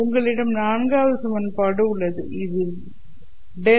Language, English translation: Tamil, So this is the equation that I have